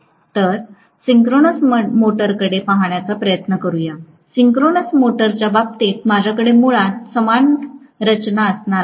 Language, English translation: Marathi, Let us try to look at the synchronous motor, in the case of a synchronous motor; I am going to have basically the same structure